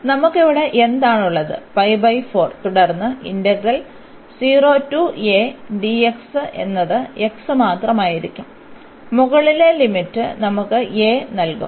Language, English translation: Malayalam, So, what do we have here pi by 4 and then this integral 0 to a dx will be just the x and the upper limit will give us a